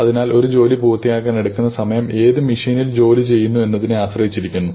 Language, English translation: Malayalam, Therefore, the time that it takes to finish a job depends on which machine we put the job on